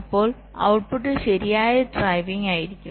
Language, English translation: Malayalam, then the output will be driving right and well